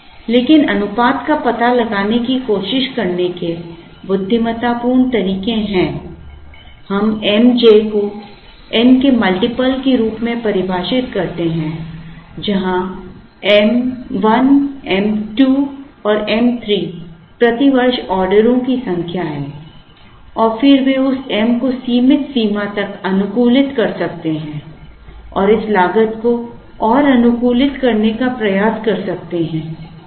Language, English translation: Hindi, But, there are intelligent ways of trying to find out the ratios, we define something called m j where m 1, m 2 and m 3 are the number of orders per year, as a multiple of n and then they can try and optimize that m to a limited extent and try and optimize this cost further